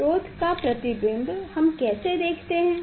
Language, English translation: Hindi, Image of the source, how we see